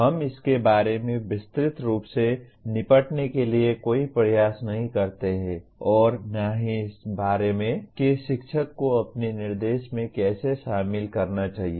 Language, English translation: Hindi, We do not make any attempt at all to deal with it in detailed way nor about how the teacher should incorporate that into his instruction